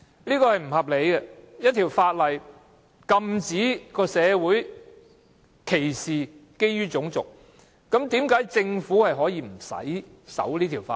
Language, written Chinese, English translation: Cantonese, 這是不合理的，一項法例禁止社會基於種族作出歧視，但政府竟可無須遵守該項法例。, It is unreasonable that the Government is exempted from compliance with a law prohibiting the community to practise race discrimination